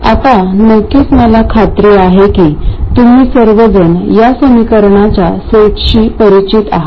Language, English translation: Marathi, Now of course I am sure all of you are familiar with this set of equations